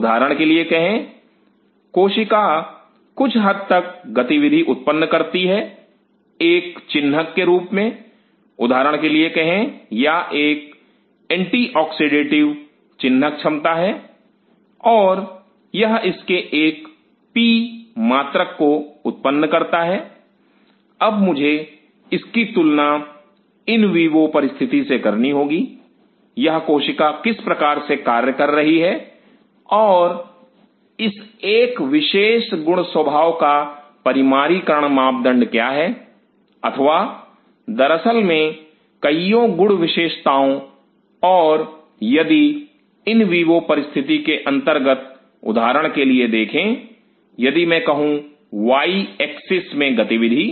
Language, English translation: Hindi, Say for example, the cell produce certain level of activity an ensign say for example, it has an anti oxidative ensign capacity and it produce a P unit of it, now I have to compare it with in in vivo condition; how this cell is functioning and what is the quantification parameter of this particular one property or many properties as a matter of fact and if under in vivo condition see for example, if I say activity in the y axis